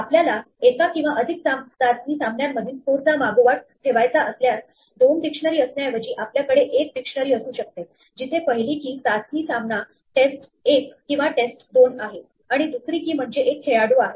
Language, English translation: Marathi, If you want to keep track of scores across multiple test matches, instead of having two dictionaries is we can have one dictionary where the first key is the test match test 1 or test 2, and the second key is a player